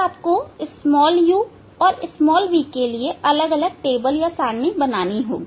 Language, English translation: Hindi, these the data table for u and v